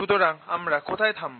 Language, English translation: Bengali, where do we stop